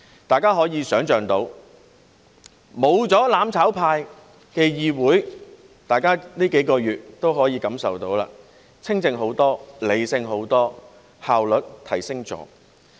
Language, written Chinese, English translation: Cantonese, 大家可以想象，沒有"攬炒派"的議會情況會怎樣，大家在這數個月也可以感受到，是清靜得多、理性得多，效率亦有所提升。, We can imagine what the Council would be like without the mutual destruction camp . In these few months we could all feel that it is much quieter and more rational with enhanced efficiency